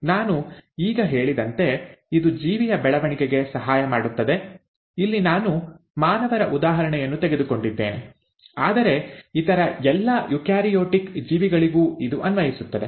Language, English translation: Kannada, As I just mentioned, it not only helps in the growth of an organism, here I have taken an example of human beings, but the same applies to almost all the other eukaryotic organisms